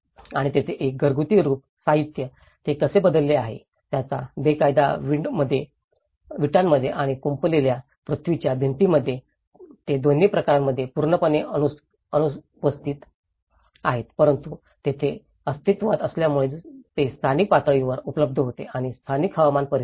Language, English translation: Marathi, And there is a house form, materials, how they have changed, now today in sundried bricks and rammed earth walls they are completely absent in both the cases but whereas, here it was present because it was locally available and the local climatic conditions